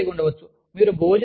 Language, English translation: Telugu, You could have a lounge